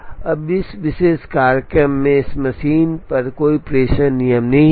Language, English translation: Hindi, Now in this particular schedule there is no dispatching rule on this machine